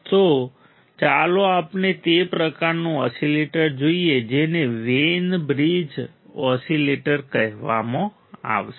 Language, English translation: Gujarati, So, let us see that kind of oscillator that is called Wein bridge oscillator